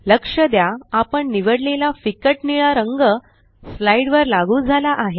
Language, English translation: Marathi, Notice, that the light blue color we selected is applied to the slide